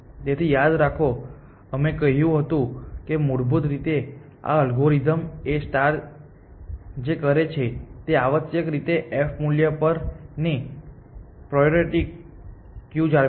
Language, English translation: Gujarati, So, remember that we said that basically what this algorithm A star does is it maintains a priority queue of on f value essentially